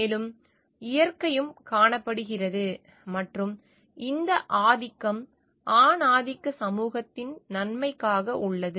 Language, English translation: Tamil, And nature also seen and this domination is for the benefit or for the purpose of the benefit of the patriarchal society